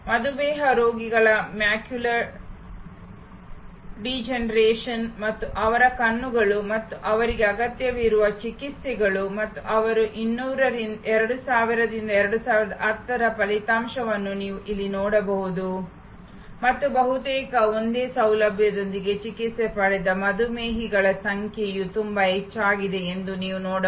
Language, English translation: Kannada, The macular degeneration of diabetic patients and their eyes and the treatments they need and you can see here the result of their 2000 to 2010 and you can see the number of diabetics treated with almost the same facility have gone up very, very significantly using the service design principles